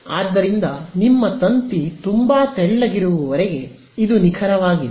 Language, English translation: Kannada, So, as long as your wire is very thin, this is exact